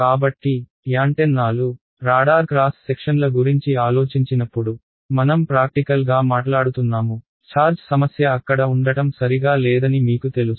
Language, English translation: Telugu, So, we practically speaking when you think of antennas radar cross section of antennas you know the issue of charge is sitting out there is not very relevant ok